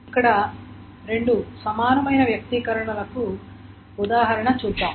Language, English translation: Telugu, And here is an example of two equivalent expressions